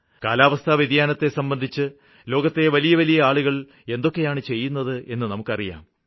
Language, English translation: Malayalam, See what the big people of the world do for climate change